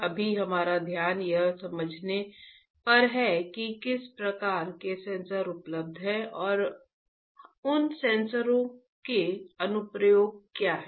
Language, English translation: Hindi, Right now, our focus is on understanding what kind of sensors are available and what are the application of those sensors